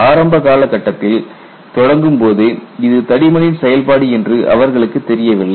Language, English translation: Tamil, So, initially to start with, they did not have an idea that it is a function of thickness